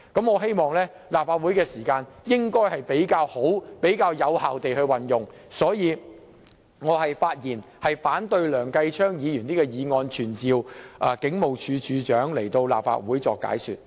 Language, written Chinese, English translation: Cantonese, 我希望立法會能夠妥善並有效地運用時間，所以我發言反對梁繼昌議員提出的這項議案，不贊成傳召警務處處長前來立法會解說。, I hope that the Legislative Council will be able to utilize time in a proper and efficient manner . Thus I speak against the motion moved by Mr Kenneth LEUNG and oppose summoning the Commissioner of Police to offer an explanation before the Council